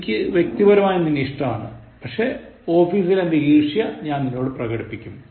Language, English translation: Malayalam, I personally like you, but office, I am showing you my annoyance